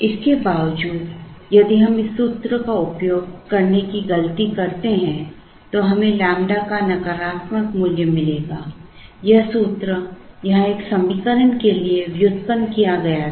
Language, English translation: Hindi, In spite of this, if we make the mistake of using this formula, we would get a negative value of lambda because; this formula was derived for an equation here